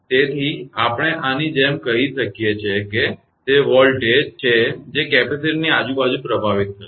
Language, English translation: Gujarati, So, we can tell like this that is the voltage that will be impressed across the capacitor